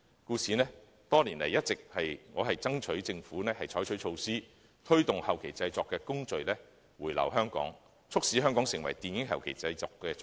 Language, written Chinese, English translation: Cantonese, 故此，多年來，我一直爭取政府採取措施，推動後期製作的工序回流香港，促使香港成為電影後期製作中心。, As such over the years I have been lobbying the Government to take measures to promote the return of postproduction processes to Hong Kong thereby promoting the development of Hong Kong into a film postproduction centre